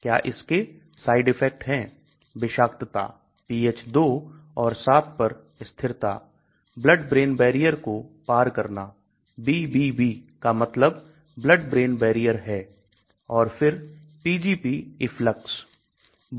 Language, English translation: Hindi, Does it have side effects, toxicity, stability at pH2 and at 7, the blood brain barrier penetration, BBB means blood brain barrier and then Pgp efflux